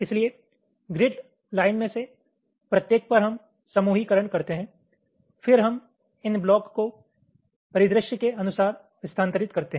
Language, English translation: Hindi, so on each of the grid lines we carry out ah grouping, then we move these blocks according to the ah scenario